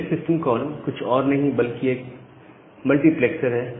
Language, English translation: Hindi, So, this selects system call it is nothing but a multiplexer